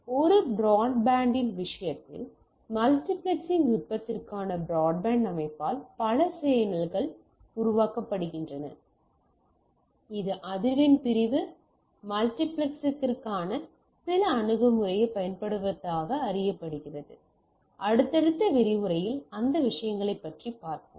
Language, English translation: Tamil, So, in case of a broadband also, multiple channels are created by the broadband system for multiplexing technique, known as using some a approach for frequency division multiplexing, we will just see those things for in subsequent lecture